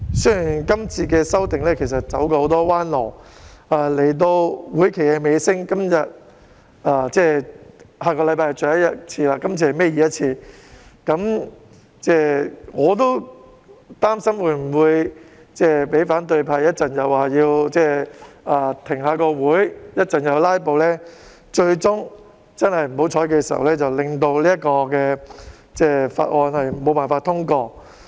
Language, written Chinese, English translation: Cantonese, 雖然今次的修訂走了很多彎路，但到了會期的尾聲，下星期已是立法會最後一次會議，今天是立法會倒數第二次會議，我也擔心反對派稍後又要求停會或"拉布"，最終不幸令《條例草案》無法通過。, The amendments this time around have encountered many twists and turns . But as this legislative session draws to a close―the last Council meeting will be held next week and this meeting is the second last Council meeting of the Legislative Council―I am concerned that the opposition camp will ask for an adjournment or make a filibuster which may eventually prevent the Bill from being passed